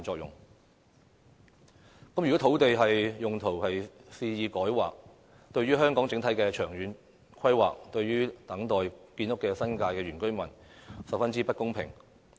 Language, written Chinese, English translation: Cantonese, 如果肆意改劃土地用途，這對香港整體的長遠規劃及正在等候建屋的新界原居民均十分不公平。, To arbitrarily change the land use is highly unfair to the overall long - term planning of Hong Kong and also to the indigenous villagers waiting to have their houses built